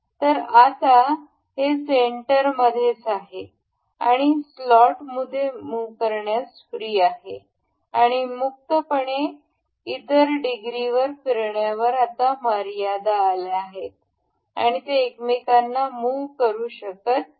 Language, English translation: Marathi, So, now, it remains in the center and it is free to move within the slot and it the other degrees of freedom have now been constrained and it this cannot move to each other